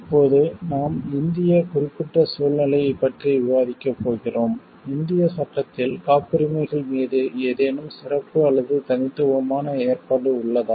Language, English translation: Tamil, Now we are going to discuss about the Indian specific situation, is there any special or unique provision on patents in the Indian law